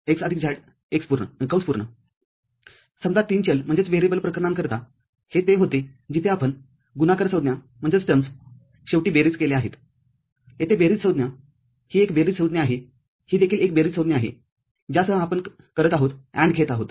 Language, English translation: Marathi, Say for a three variable case this was where we had seen that product terms are summed finally – here, the sum terms, this is a sum term, this is also a sum term with which we are doing taking an AND